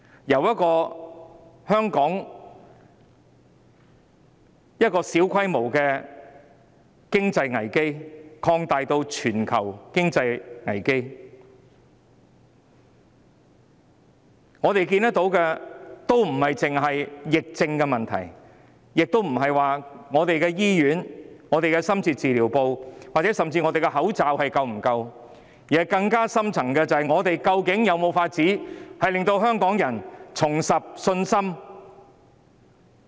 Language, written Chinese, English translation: Cantonese, 由香港的小規模經濟危機擴大至全球經濟危機，我們看到這不單是疫症的問題，亦不是香港的醫院和深切治療部服務，甚至口罩數量是否足夠的問題，更深層的問題是，究竟我們有沒有辦法令香港人重拾信心？, While a small scale economic crisis in Hong Kong has escalated to a global one we can see that the issue is not simply about the epidemic . Neither is it about whether the services in hospitals or intensive care units ICUs or even the quantities of face masks in Hong Kong are adequate . A deeper question is whether we do have ways to restore Hongkongers confidence